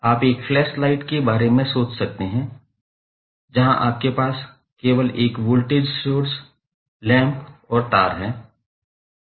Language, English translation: Hindi, You can think of like a flash light where you have only 1 voltage source and the lamp and the wires